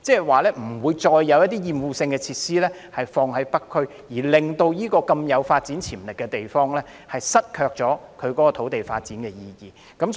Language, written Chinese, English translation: Cantonese, 換言之，不會再在北區設立厭惡性設施，令這個具發展潛力的地方失卻土地發展的意義。, In other words no more offensive facilities will be established in the North District so that this piece of land with potential will not lose the meaning of development